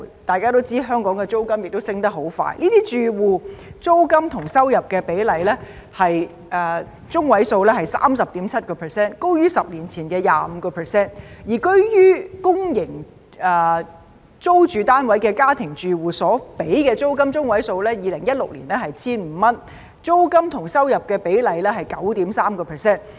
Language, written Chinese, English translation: Cantonese, 大家都知道香港的租金上升得很快，這些住戶的租金與收入比例中位數為 30.7%， 高於10年前的 25%； 而居於公營租住單位的家庭住戶所支付的租金中位數，在2016年為 1,500 元，租金與收入比例中位數為 9.3%。, We all know that rent in Hong Kong increases rapidly . The median rent to income ratio of these households was 30.7 % higher than the 25 % a decade ago . For domestic households in public rental housing units the median rent was 1,500 in 2016 while the median rent to income ratio was 9.3 %